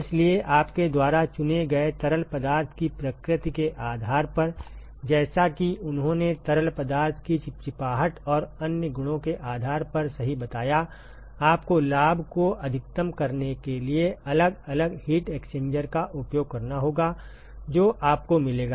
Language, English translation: Hindi, So, depending upon the nature of the fluid that you choose, as he rightly pointed out depending upon the viscosity and other properties of the fluid, you will have to use different heat exchanger in order to maximize the benefit that you would get in terms of saving energy and also getting maximum heat transport